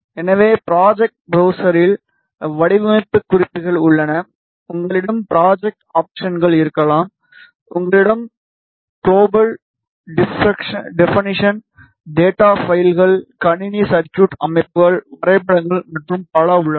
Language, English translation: Tamil, So, the project browser consists of various things first you have design notes, you can have project options, you have global definitions, data files, system circuit diagrams, graphs and so on